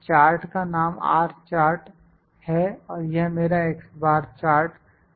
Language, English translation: Hindi, R chart, the name of the chart is R chart and this is my x Bar chart